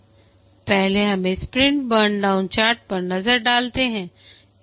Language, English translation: Hindi, First let's look at the sprint burn down chart